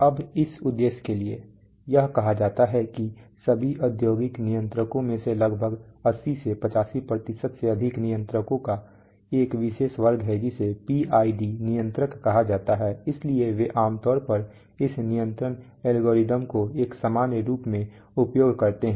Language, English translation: Hindi, Now for this purpose we, it is said it is that more than about 80 85% of all industrial controllers are a particular class of controllers called PID controller so they are generally this control algorithms used as a generic